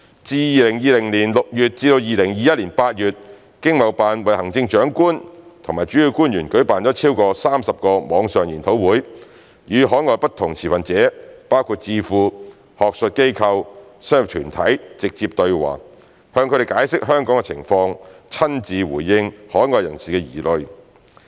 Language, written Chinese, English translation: Cantonese, 自2020年6月至2021年8月，經貿辦為行政長官及主要官員舉辦超過30個網上研討會，與海外不同持份者包括智庫、學術機構、商業團體直接對話，向他們解釋香港的情況，親自回應海外人士的疑慮。, From June 2020 to August 2021 ETOs have organized over 30 webinars for the Chief Executive and principal officials to conduct direct dialogues with various overseas stakeholders including think tanks academic institutions and business organizations explaining to them the situation in Hong Kong and directly addressing their concerns